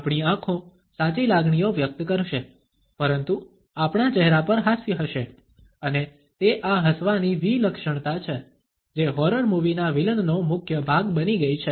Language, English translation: Gujarati, Our eyes would express the true emotions, but the grin would be there on our face and it is this creepiness of this grin, which has become a staple of horror movie villains